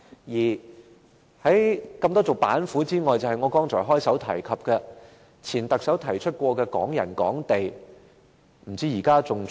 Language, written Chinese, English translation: Cantonese, 此外，在眾多板斧之中，還有我剛才開首提及、由前特首提出的"港人港地"措施。, Separately one of the measures which can be used by the Government is the Hong Kong property for Hong Kong people measure proposed by the last Chief Executive which I mentioned earlier